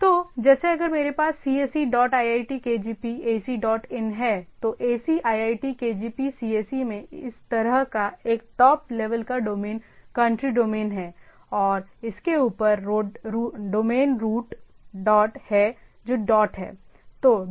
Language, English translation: Hindi, So, like if I have “cse dot iitkgp ac dot in”, then in ac iitkgp cse like this is a top level domain country domain and we above this is the root domain dot which is dot